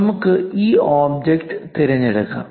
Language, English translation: Malayalam, Let us pick this object